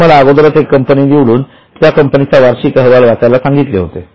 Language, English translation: Marathi, I have already told you to select one company and read the annual report of that company